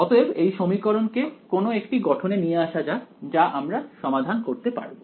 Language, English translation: Bengali, So, let us now sort of massage this equation into a form that we can solve ok